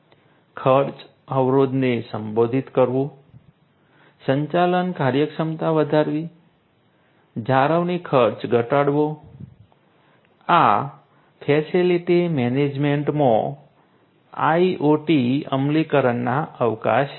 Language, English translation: Gujarati, Addressing the cost barrier increasing the operating efficiency, reducing maintenance cost, these are the scopes of IoT implementation in facility management